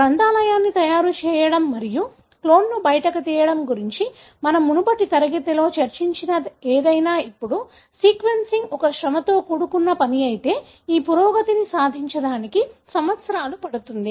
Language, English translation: Telugu, Now if whatever we have discussed in the previous class that is going for making a library and pulling out the clone, sequencing is a laborious task, it takes years to make these advancement